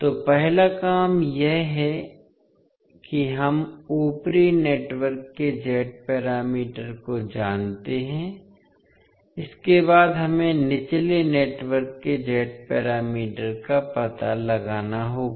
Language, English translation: Hindi, So first the task is that we know the Z parameters of the upper network, next we have to find out the Z parameters of the lower network